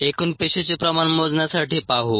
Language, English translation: Marathi, let us look at measuring the total cell concentration